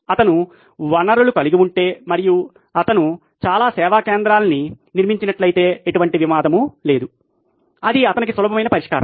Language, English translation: Telugu, If he had the resources and he built lots of service centre there is no conflict it’s an easy solution for him